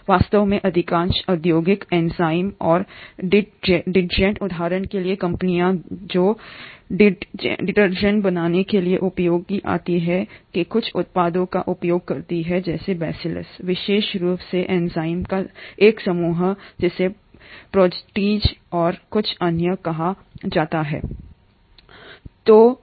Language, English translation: Hindi, In fact most of the industrial enzymes and detergent companies for example which are used to make detergents, make use of certain products of these Bacillus, particularly a group of enzymes called proteases and a few other